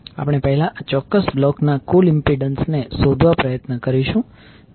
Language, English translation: Gujarati, We will first try to find out the total impedance of this particular block